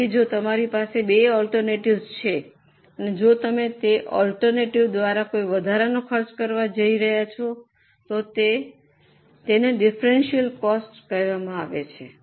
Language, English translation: Gujarati, So, if you have two alternatives and if you are going to incur any extra expense by that alternative, then it is called as a differential cost